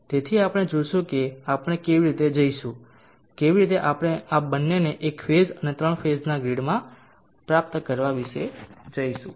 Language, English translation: Gujarati, So we will see how we will go about achieving this both in single phase and three phase grids